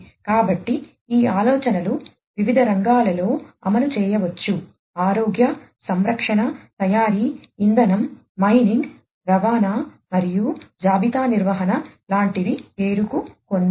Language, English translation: Telugu, So, these ideas could be implemented in different sectors healthcare, manufacturing, energy, mining, transportation and inventory management are a few to name